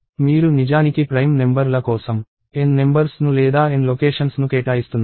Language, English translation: Telugu, And you are actually allocating N numbers or N locations for prime numbers